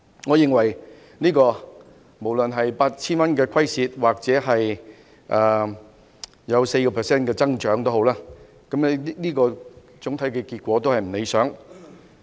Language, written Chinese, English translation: Cantonese, 我認為無論是虧蝕 8,000 元抑或有 4% 的增長，總體結果均不理想。, Regardless of whether it is a loss of 8,000 or an increase of 4 % I think that the result is not satisfactory at all